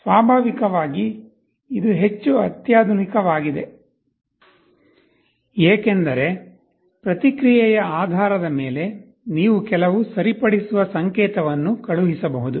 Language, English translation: Kannada, Naturally, this is more sophisticated because, based on the feedback you can send some corrective signal